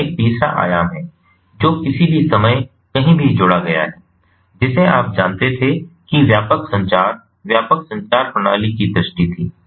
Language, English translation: Hindi, its a third dimension that has been added to any, any, any time, anywhere, which was the, you know, pervasive, which was the vision of pervasive communication, pervasive systems